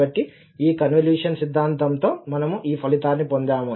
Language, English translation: Telugu, So, with this Convolution Theorem we got this result